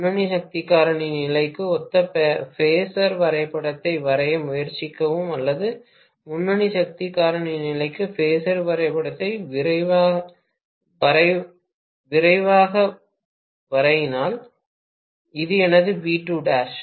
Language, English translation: Tamil, Please try to draw the phasor diagram corresponding to leading power factor condition or if we quickly draw the phasor diagram for leading power factor condition maybe this is my V2 dash